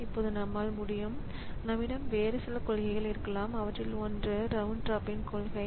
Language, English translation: Tamil, Now, we can we can have some other policies which is one of them is the round robin policy